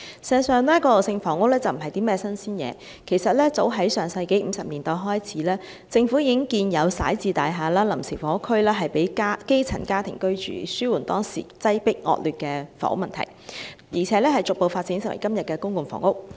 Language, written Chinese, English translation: Cantonese, 事實上，過渡性房屋並不是新鮮事，早在上世紀50年代開始，政府已經建有徙置大廈和臨時房屋供基層家庭居住，以紓緩當時擠迫、惡劣的房屋問題，並逐步發展為今天的公共房屋。, In fact transitional housing is nothing new . Starting in 1950s the Government already built resettlement buildings and temporary housing for grass - roots families to ease the overcrowded and poor living conditions at that time . These housing units had gradually developed into todays public housing